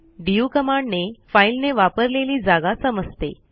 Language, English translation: Marathi, du command to check the space occupied by a file